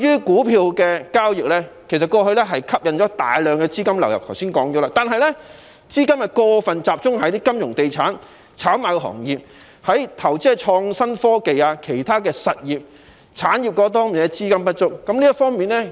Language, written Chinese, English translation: Cantonese, 股票交易過往吸引了大量資金流入，但由於資金過分集中於金融、地產及炒賣行業，以致投資在創新科技及其他產業的資金不足。, Stock trading attracted a large inflow of funds in the past but they were excessively concentrated on the financial real estate and speculation industries leaving the innovation and technology and other industries with insufficient funds